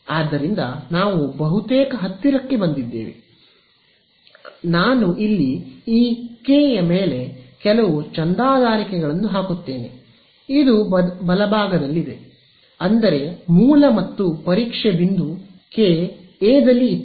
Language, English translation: Kannada, So, we are almost there; so, let me put a few subscripts here this K over here, this is a on a right; that means, the source and the testing point were A and A